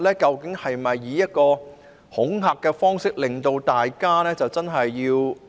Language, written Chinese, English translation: Cantonese, 究竟是否想以一種恐嚇的方式來令大家遵從呢？, Is that actually meant to be a kind of intimidation to make the people abide by the law?